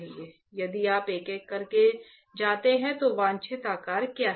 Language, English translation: Hindi, If you go one by one is what is the desired shape right